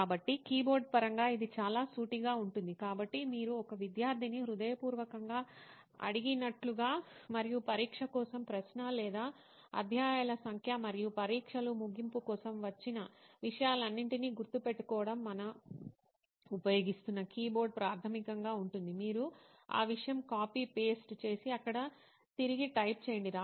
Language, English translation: Telugu, So in terms of keyboard it is very straight forward it is like you ask a student to by heart so and so and number for question or chapters for the exam and for the exam end and come and memorize all those thing back is what we are using a keyboard basically, you have that thing copy, paste it and type it back there